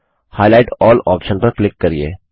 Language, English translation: Hindi, Click on Highlight all option